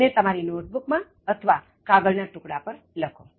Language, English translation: Gujarati, Write it in your notebook or on a piece of paper